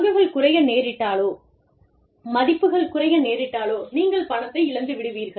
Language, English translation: Tamil, If the stocks go down, if the value goes down, you end up, losing money